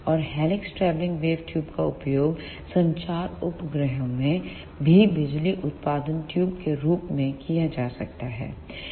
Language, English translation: Hindi, And the helix travelling wave tubes can be used in communication satellites also as an power output tube